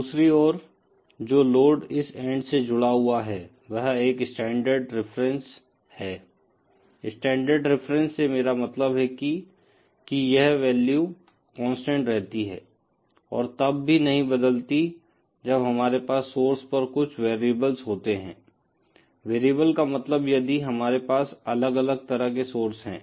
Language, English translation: Hindi, On the other hand the load that is connected to this end is a standard reference, by standard reference, I mean this value of load remains constant and does not change even if we have some variables at the source end, variables meaning if we have different types of sources